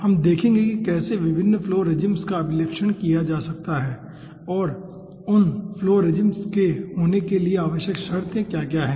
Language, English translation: Hindi, we will be seeing how different flow regimes can be characterized and what are the necessary conditions for occurring those flow regimes